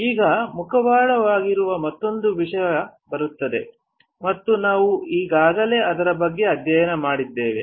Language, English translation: Kannada, Now, comes another topic which is mask and we have already studied about it